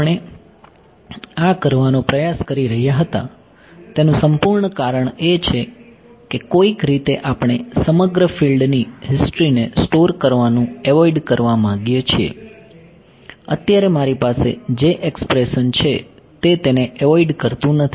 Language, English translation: Gujarati, The whole reason that we were trying to do this is, somehow we want to avoid having to store the entire field history right; right now the expression that I have over here this expression does not avoid that